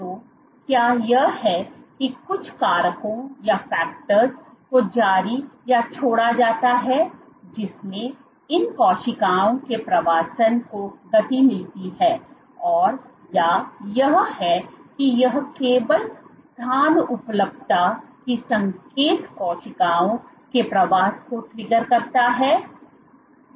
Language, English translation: Hindi, So, is it that some factors are released which triggered the migration of these cells and or is it that it is just the availability of space is the signal which triggers migrations of cells